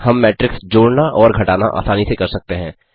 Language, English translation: Hindi, We can do matrix addition and subtraction easily